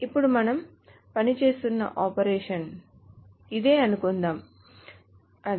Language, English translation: Telugu, Now suppose the operation that we are working on is this